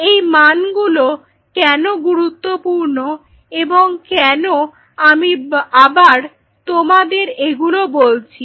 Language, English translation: Bengali, Why these values an important and why am I taking the pain to tell you this once again